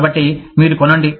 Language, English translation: Telugu, So, you buy